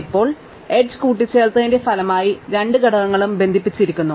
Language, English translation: Malayalam, Now, as the result of adding the edge, the two components do get connected